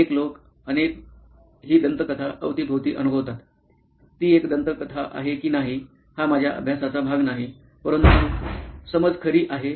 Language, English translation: Marathi, A lot of people who have this myth going around whereas, a myth or not is not part of my study but the perception is true